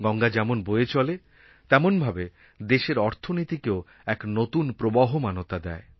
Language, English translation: Bengali, The flow of Ganga adds momentum to the economic pace of the country